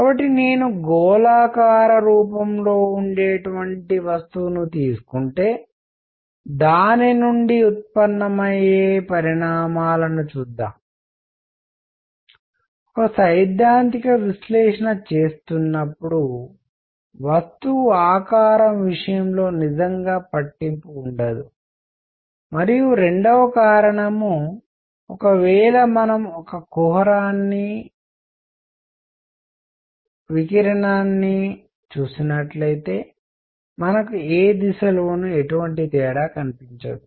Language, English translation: Telugu, So, let us see the consequences because of one I can take the body to be spherical, when doing a theoretical analysis because the shape does not really matter and because of 2, if we look into a cavity radiating, we will not see any difference in any direction